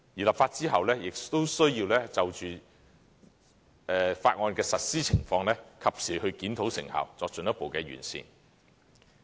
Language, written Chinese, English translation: Cantonese, 立法之後，我們亦需要就條例的實施情況，及時檢討成效，作進一步的完善。, Following the enactment of legislation we also need to make timely reviews on its effectiveness and make further improvements in the light of its implementation